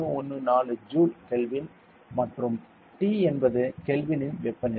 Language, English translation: Tamil, 314 Joule per mole Kelvin and T is the temperature in Kelvin